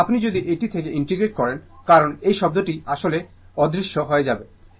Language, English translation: Bengali, So, if you integrate from this one this one, because these term actually will vanish